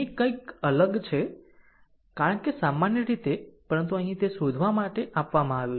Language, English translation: Gujarati, Here, something different, because generally but here it is given you find out